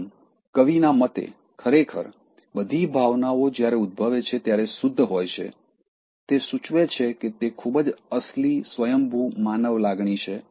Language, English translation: Gujarati, ” So, according to the poet, actually, all emotions are pure as when it is emanating, it is indicating that it is a very genuine, spontaneous human feeling